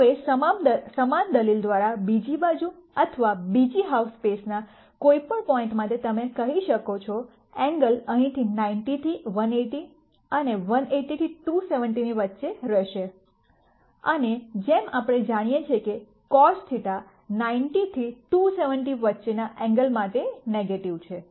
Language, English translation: Gujarati, Now by similar argument you can say for any point on the other side or the other half space, the angles are going to be between 90 to 180 here and 180 to 270 and as we know cos theta for angles between 90 to 270 is negative